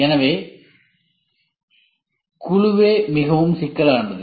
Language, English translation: Tamil, So, the team itself is quite complex